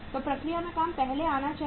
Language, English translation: Hindi, So work in process should come first